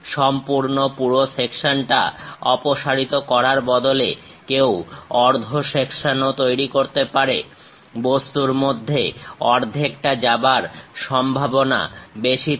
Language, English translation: Bengali, Instead of removing complete full section, one can make half section also; it is more like go half way through the object